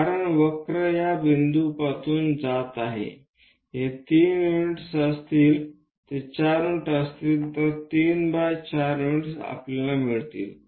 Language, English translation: Marathi, Because curve is passing through this point this will be three units that will be 4 units, so 3 by 4 units we are going to get